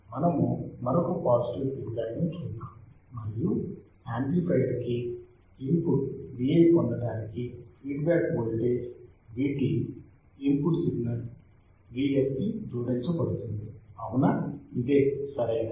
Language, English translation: Telugu, Let us see another one the feedback is positive, and the feedback voltage V t is added to the input signal V s to get the input to the amplifier Vi which is correct